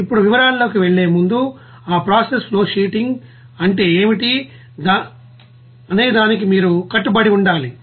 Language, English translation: Telugu, Now before going to that in details you have to what is that process flowsheeting